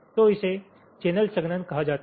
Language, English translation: Hindi, so this is something called channel compaction